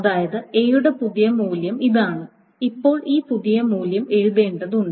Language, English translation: Malayalam, So, that is the new value of A becomes this thing